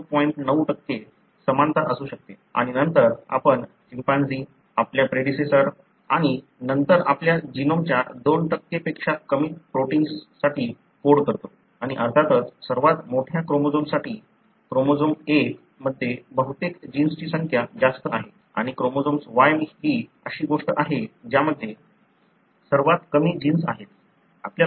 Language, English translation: Marathi, 9% similarity between two individuals and then we also share about 90% similarity with chimpanzees, our predecessors and then, less then 2% of our genome codes for protein and of course the largest chromosome, chromosome 1 has got large number of most of the genes and chromosome Y is something that has got the least number of genes